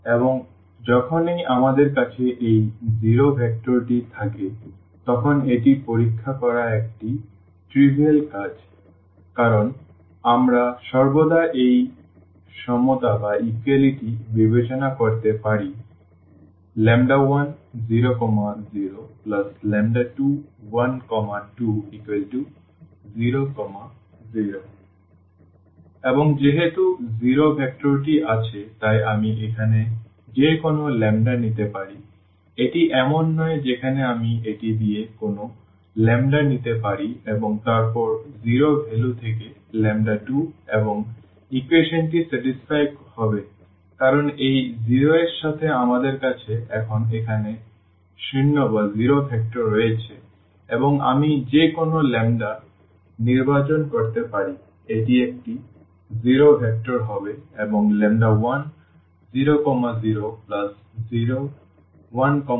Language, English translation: Bengali, And this is a trivial task to check whenever we have this zero vector is there in the set because we can always consider this equality lambda 1 0, 0; lambda 2 1, 2 is equal to 0, 0 and since the zero vector is there so, I can take any lambda here it does not where matter I can take any lambda with this and then the 0 value to lambda 2 and the equation will be satisfied because with this 0 we have now the zero vector here and I can choose any lambda still this will be a zero vector and 0 plus zero vector will give us zero vector